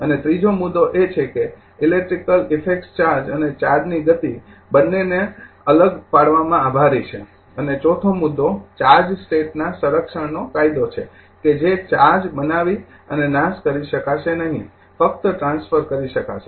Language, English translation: Gujarati, And third point is the electrical effects are attributed to both the separation of charge and your charges in motion and the fourth point is the law of conservation of charge state that charge can neither be created nor destroyed only transferred right